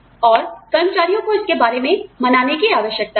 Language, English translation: Hindi, And, employees have to be convinced, about it